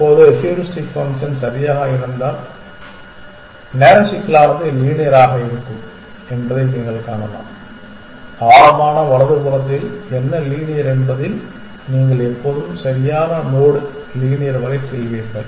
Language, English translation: Tamil, Now, you can see that if the heuristic function is perfect, then the time complexity will be linear you will always go to the correct node linear in what linear in depth right